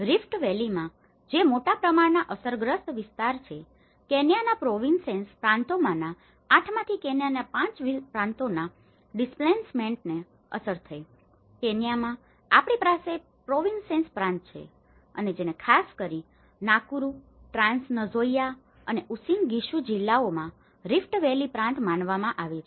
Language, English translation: Gujarati, In the Rift Valley which is the majorly affected area, displacement affected 5 of Kenyaís 8 provinces, in Kenya, we have 8 provinces and which has been considered the Rift Valley Province particularly in Nakuru, Trans Nzoia and Uasin Gishu districts